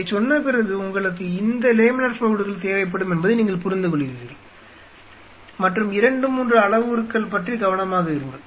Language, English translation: Tamil, And having said this you realize that you will be needing this laminar flow hoods and just be careful about 2 3 parameters